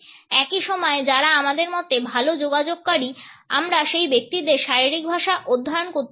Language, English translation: Bengali, At the same time, we can study the body language of those people who in our opinion are better communicators